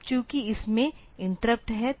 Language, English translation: Hindi, Now since there are interrupts involved